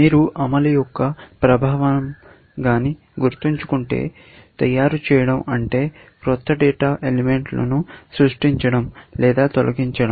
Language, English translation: Telugu, If you remember, the effect of execute is either, to make, which means to create new data elements, or to delete, or remove